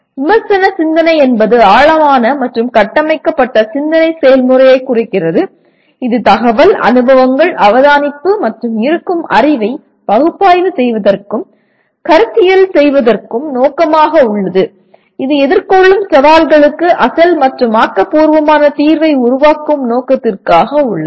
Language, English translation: Tamil, Critical thinking refers to the deep intentional and structured thinking process that is aimed at analyzing and conceptualizing information, experiences, observation, and existing knowledge for the purpose of creating original and creative solution for the challenges encountered